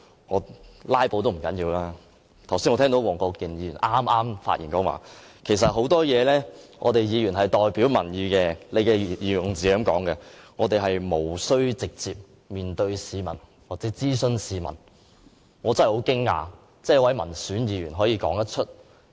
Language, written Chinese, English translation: Cantonese, 這樣也還不要緊，我剛才聽到黃國健議員剛剛發言說，其實很多事情議員是代表民意的——他的用字是這樣的："我們是不需要直接面對市民作出諮詢"——我真的很驚訝，一位民選議員竟可說這種話。, It does not really matter but when Mr WONG Kwok - kin spoke on the point about how Members represented public opinions on many issues he used the following wordings to express his views there is no need for us to consult the public directly . I am really shocked at hearing such remarks from an elected Member